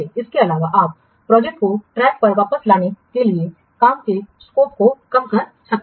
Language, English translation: Hindi, Also we can reduce the scope of the work to get back the project on track